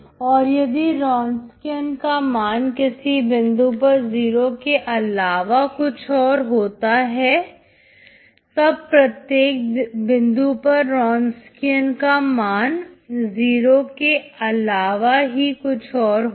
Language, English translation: Hindi, If the Wronskian is nonzero at some point, then the Wronskian should be nonzero at every other point